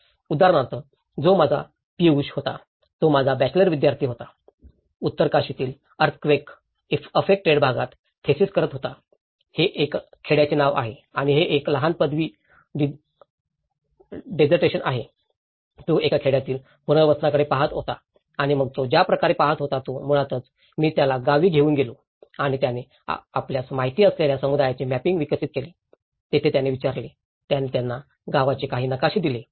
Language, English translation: Marathi, Like for example, he was my Piyush, he was my bachelor student was doing a thesis in earthquake affected area in Uttarkashi, itís a bound village so, to and itís a small bachelor dissertation, he was looking at the resettlement of a village and then the way he was looking at it is basically, I took him to the village and he developed the community mapping you know, there he asked, he gave them some maps of the village